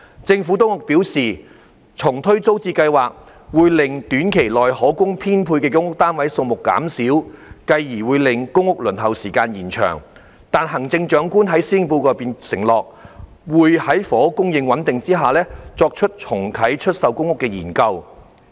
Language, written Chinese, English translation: Cantonese, 政府當局表示，重推租置計劃，會令短期內可供編配的公屋單位數目減少，繼而會令公屋輪候時間延長，但行政長官在施政報告中承諾，會在房屋供應穩定下，作出重啟出售公屋的研究。, The Administration advised that relaunching TPS would reduce the number of PRH units available for allocation in the short term which would lengthen the waiting time for PRH . However the Chief Executive undertook in the Policy Address that the Government would look into the subject of re - launching TPS when the housing supply was more stable